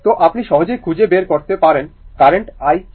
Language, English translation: Bengali, So, you can easily find out what is the current i